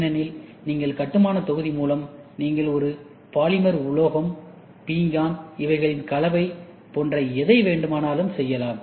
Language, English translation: Tamil, Because, the building block whatever you want, you decide whether you want a polymer, whether you want a metal, ceramic, your combination, whatever you want to do